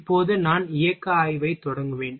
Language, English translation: Tamil, Now I will start covering the motion study